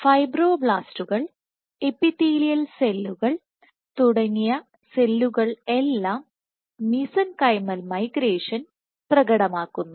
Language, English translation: Malayalam, And cells like fibroblasts, epithelial cells, all these types of cells which exhibit mesenchymal migration